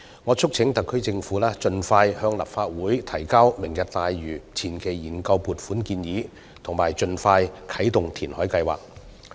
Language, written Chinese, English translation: Cantonese, 我促請特區政府盡快向立法會提交"明日大嶼願景"的前期研究撥款建議，並盡快啟動填海計劃。, I urge the SAR Government to submit a funding proposal for preliminary studies on Lantau Tomorrow Vision to the Legislative Council as early as possible and expeditiously commence the reclamation plan